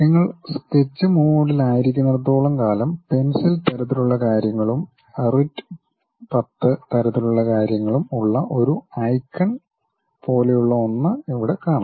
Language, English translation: Malayalam, If you as long as you are in sketch mode, here you can see that there is something like a icon with pencil kind of thing and writ10 kind of thing